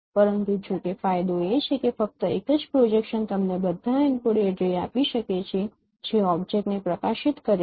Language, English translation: Gujarati, But however, the advantage is that only single projection can give you all the encoded ray which is illuminating the object